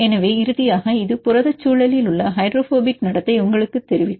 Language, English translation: Tamil, So, finally, this will tell you the hydrophobic behavior in protein environment